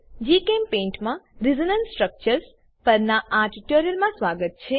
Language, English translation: Gujarati, Welcome to this tutorial on Resonance Structures in GChemPaint